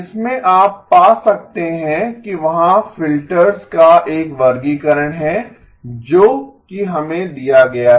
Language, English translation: Hindi, In that you can find that there is a classification of filters that is given to us